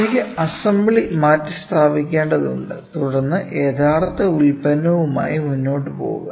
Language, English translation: Malayalam, So, I need to open the assembly replace it and then go ahead with the product